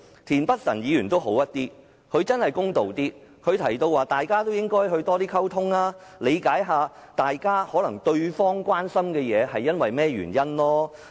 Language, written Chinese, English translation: Cantonese, 田北辰議員公道一些，他提到大家應多溝通，理解對方關心某些事情的原因。, Mr Michael TIEN has spoken more fairly . He said that Members should communicate more and should try to understand why Members of the other party were concerned about certain matters